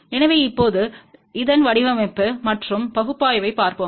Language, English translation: Tamil, So, now let just look at the design and analysis of this one